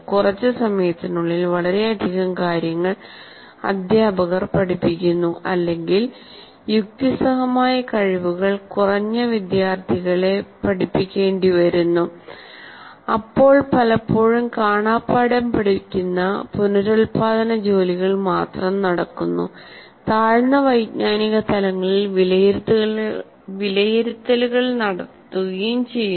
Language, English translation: Malayalam, First of all, teachers who must cover a great deal of material in little time or who teach students whose reasoning skills are weak, often stick to reproduction tasks and even have assessments at lower cognitive levels